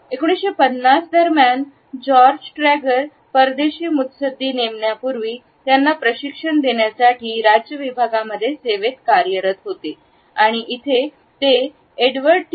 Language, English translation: Marathi, During the 1950 George Trager was working at the foreign service institute of the department of state, in order to train diplomats before they were posted to different planes and here he was working with Edward T